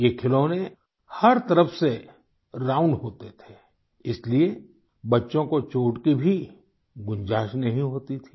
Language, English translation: Hindi, These toys were round from all sides hence there was no scope for injury to children